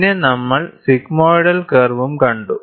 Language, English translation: Malayalam, And we also saw sigmoidal curve